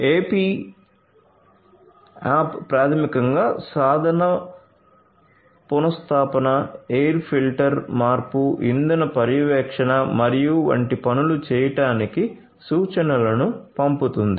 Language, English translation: Telugu, The AP app basically sends instructions for doing things like tool replacement, air filter change, fuel monitoring and so on